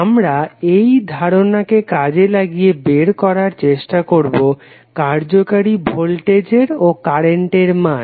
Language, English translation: Bengali, So we will use that concept and we try to find out what is the value of effective voltage and current